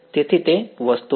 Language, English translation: Gujarati, So, that is the thing